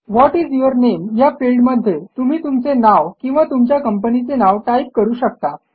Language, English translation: Marathi, In the What is your name field, you can type your name or your organisations name